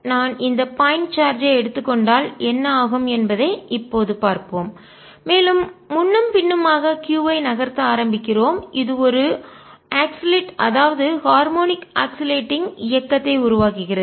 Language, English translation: Tamil, let us see now what happens if i take this point charge and start moving back and forth q, which is making a oscillating motion, harmonic oscillating motion